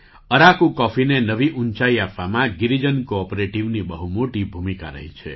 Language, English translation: Gujarati, Girijan cooperative has played a very important role in taking Araku coffee to new heights